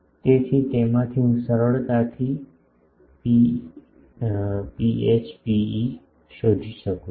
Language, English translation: Gujarati, So, from that I can easily find out rho n rho e